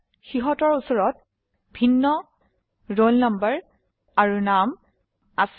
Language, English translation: Assamese, They have different roll numbers and names